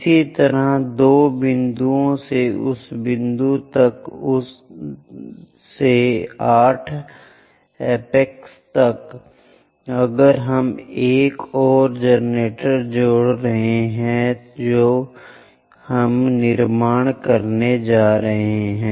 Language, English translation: Hindi, Similarly from two extend all the way to that point from that point to 8 apex, if we are connecting another generator we can construct